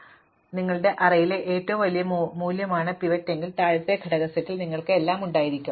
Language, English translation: Malayalam, Symmetrically, if the pivot is the largest value in your array, then you will have everything in the lower element set